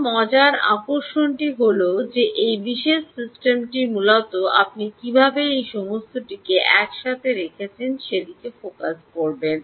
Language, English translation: Bengali, now the interesting part is this particular ah um ah system essentially will focus on how do you actually put together all of this